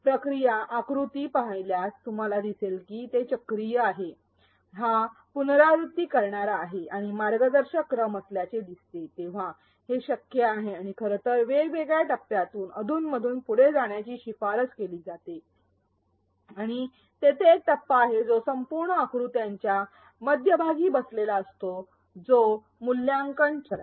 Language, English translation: Marathi, If you look at the ADDIE process diagram, you will see that it is cyclical, it is iterative and while there seems to be a guiding sequence, it is possible and in fact it is recommended to go back and forth occasionally between the various phases and there is one phase which is sitting in the center of the entire diagram this is the evaluate phase